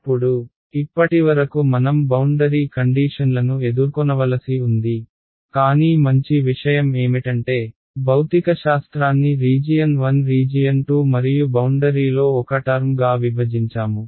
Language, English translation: Telugu, Now, even so far we have yet to encounter r boundary conditions so, but the good thing is that we have separated the physics into region 1 region 2 and one term on the boundary